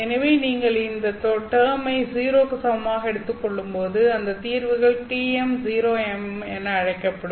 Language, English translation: Tamil, So when you take this term equal to 0, the solutions that turn out to be are called TM 0M